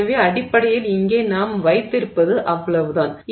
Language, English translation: Tamil, So, that is basically what you are doing